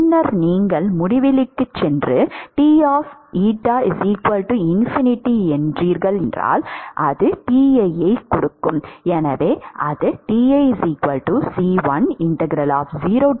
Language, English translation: Tamil, And then you have eta going to infinity that is Ti